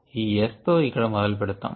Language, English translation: Telugu, lets begin with this s here